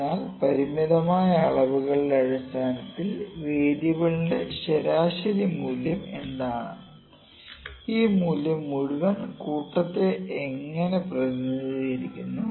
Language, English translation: Malayalam, So, what is the mean value of the variable based upon a finite number of measurements and how well this value represents the entire population